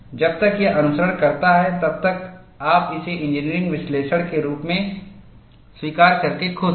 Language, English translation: Hindi, As long as it follows, you are happy to accept this as an engineering analysis